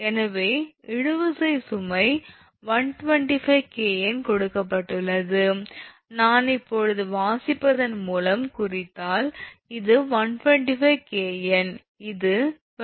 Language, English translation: Tamil, So, tensile load is given 125 kilo Newton here, if I mark now by reading then this will be this thing 125 kilo Newton this is 22 centimeter 0